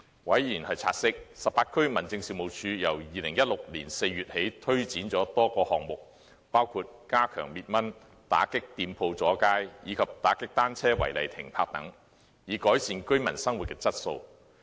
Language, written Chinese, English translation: Cantonese, 委員察悉18區民政事務處由2016年4月起推展了多個項目，包括加強滅蚊、打擊店鋪阻街，以及打擊單車違例停泊等，以改善居民生活質素。, Members noted that since April 2016 18 District Offices had been implementing a number of projects to enhance the living quality of residents such as enhancing anti - mosquito work curbing shop front extension and clearing illegally parked bicycles